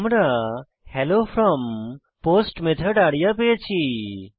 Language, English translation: Bengali, Note that we have got Hello from POST Method arya